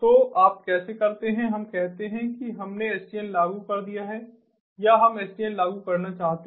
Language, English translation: Hindi, let us say that we have implemented sdn or we want to implement sdn, and so